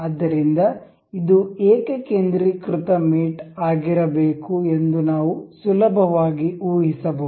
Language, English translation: Kannada, So, we can easily guess this is supposed to be concentric mate